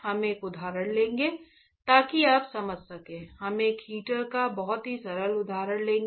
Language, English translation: Hindi, We will take one example and so, that you understand; we will take very simple example of a heater right